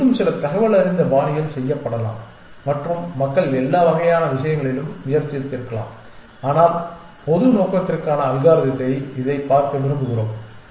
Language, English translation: Tamil, May be it can be done in some more informed fashion and people have tried out all kinds of things, but we want to look at general purpose algorithm at this one